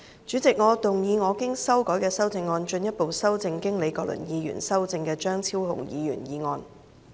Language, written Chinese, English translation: Cantonese, 主席，我動議我經修改的修正案，進一步修正經李國麟議員修正的張超雄議員議案。, President I move that Dr Fernando CHEUNGs motion as amended by Prof Joseph LEE be further amended by my revised amendment